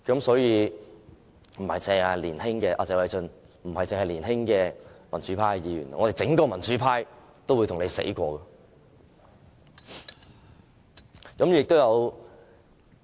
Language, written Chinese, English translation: Cantonese, 所以，謝偉俊議員，不單是年輕民主派議員，我們整個民主派都會跟你來真的。, Therefore Mr Paul TSE not only young Members but the whole pro - democracy camp are serious about this